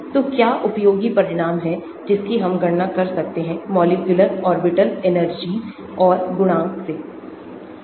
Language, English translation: Hindi, So, what are the useful results from we can calculate molecular orbital energies and coefficient